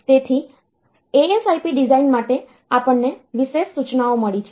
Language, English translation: Gujarati, So, for the ASIP design, we have got special instructions